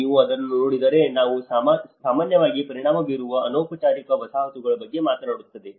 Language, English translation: Kannada, And if you look at it, it talks about the informal settlements which are often tend to be affected